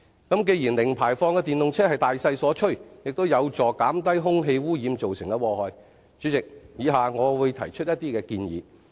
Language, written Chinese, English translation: Cantonese, 主席，既然零排放的電動車是大勢所趨，亦有助減低空氣污染造成的禍害，以下我會提出一些普及化的建議。, President since the use of EVs with zero - emission is an inevitable trend and they can help mitigate the harm of air pollution let me make some suggestions on promoting their popularity here